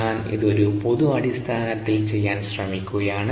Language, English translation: Malayalam, i am trying to do that on a generic basis